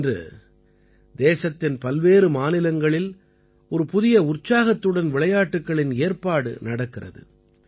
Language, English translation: Tamil, Today, sports are organized with a new enthusiasm in different states of the country